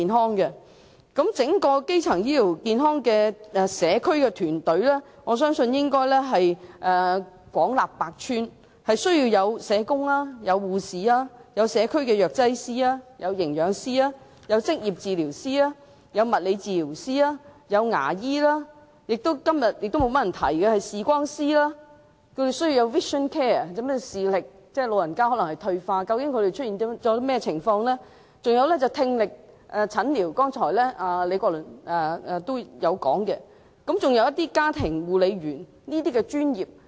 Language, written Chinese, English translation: Cantonese, 我相信整個基層醫療健康的社區團隊應廣納百川，要包含社工、護士、社區藥劑師、營養師、職業治療師、物理治療師、牙醫、視光師——今天較少議員提及，因為長者可能視力退化，需要 vision care， 以了解問題所在——李國麟議員剛才提及的聽力診療師，以及家庭護理員等專業人員。, I believe the entire community team for primary health care should comprise various disciplines and must include professionals such as social workers nurses community pharmacists nutritionists occupational therapists physiotherapists dentists optometrists―a profession which Members have rarely talked about today and elderly people need vision care to understand their problems as they may be suffering from a decline in visual acuity―hearing therapists as mentioned by Prof Joseph LEE just now and also family carers